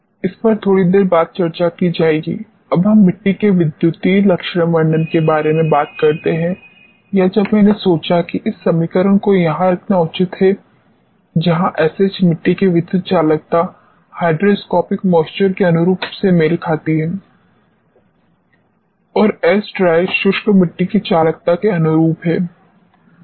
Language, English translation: Hindi, This will be discussing slightly later and we talk about electrical characterization of the soils or just to be when idea I thought this quite appropriate to put this equation here where sigma h corresponds to the conductivity electrical conductivity of the soil corresponding to hygroscopic moisture and sigma dry corresponds to conductivity of the dry soil